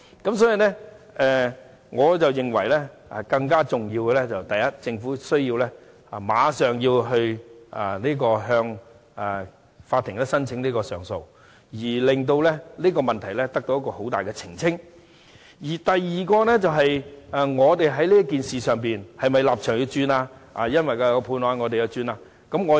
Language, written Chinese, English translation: Cantonese, 因此，我認為更重要的是第一，政府要立即向法庭申請上訴，令這個問題在很大程度上獲得澄清；第二，我們在這件事上的立場是否要因應有關判決而改變？, Hence what I consider more important is that first the Government must immediately apply for leave from the Court to appeal so that this issue may be clarified in great measure . Moreover do we have to take another position on this issue in the light of the Judgment?